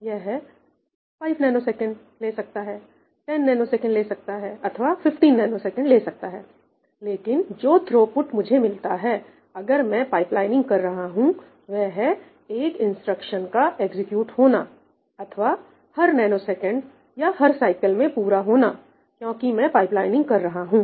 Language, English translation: Hindi, for instance how long does it take to execute one instruction it might take 5ns or 10ns or 15ns, but the throughput that I get, if I am doing pipelining, is one instruction being executed or completed every nanosecond, every cycle, because I am pipelining